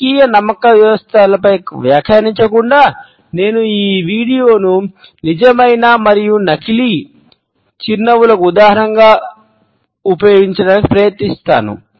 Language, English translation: Telugu, Without commenting on the political belief systems, I have tried to use this video as an illustration of genuine and fake smiles